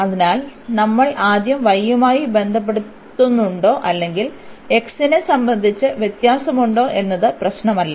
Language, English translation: Malayalam, So, it will not matter whether we first differentiate with respect to y or with respect to x the complicacy level would be more or less the same